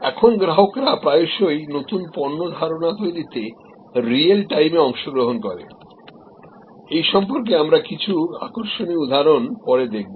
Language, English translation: Bengali, Now, customers often participate in real time in new product idea creation, we will see some interesting example say a little later